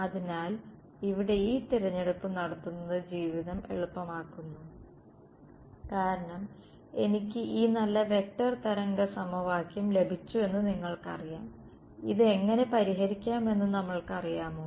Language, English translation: Malayalam, So, here making this choice makes life easy because you know I get this nice vector wave equation and do we know how to solve this